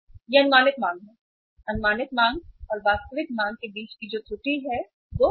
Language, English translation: Hindi, That is estimated demand, error between the estimated demand and actual demand that is m